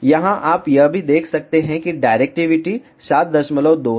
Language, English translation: Hindi, Here, you can also see that the directivity is 7